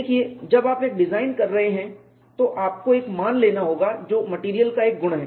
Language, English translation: Hindi, See when you are doing a design, you will have to take a value which is a property of the material and when does become a property of the material